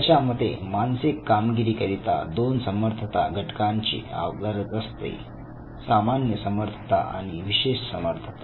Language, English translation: Marathi, He said that the mental performances need two types of abilities the general and the specific abilities